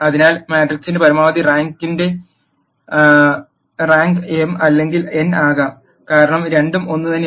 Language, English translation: Malayalam, So, the rank of the maximum rank of the matrix can be m or n, because both are the same